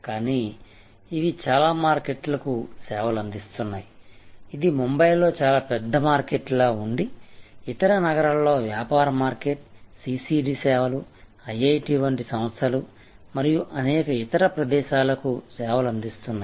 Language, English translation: Telugu, So, but this served many markets, this serve very up market in Bombay, this serve business market in other cities, CCD serves, institutions like IIT’s and many other locations